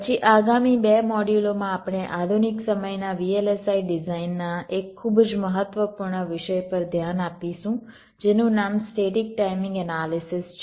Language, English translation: Gujarati, then in the next two modules we shall be looking at a very important topic of modern day v l s i design, namely static timing analysis